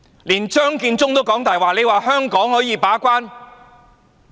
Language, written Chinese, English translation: Cantonese, 連張建宗也"講大話"，說香港可以把關？, Even Matthew CHEUNG had lied and he said that Hong Kong can keep the gate?